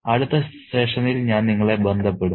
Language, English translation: Malayalam, I'll catch up with you in the next session